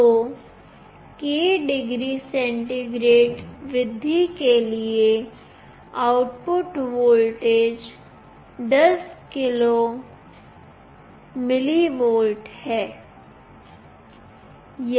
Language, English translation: Hindi, So, for k degree centigrade rise, the output voltage will be 10k mV